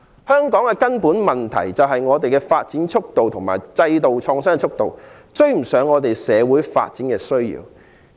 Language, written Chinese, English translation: Cantonese, 香港的根本問題，是我們的發展及制度創新的速度追不上社會發展的需要。, Hong Kongs fundamental problem is that the speed of our growth and system renovation cannot meet the needs arising from social development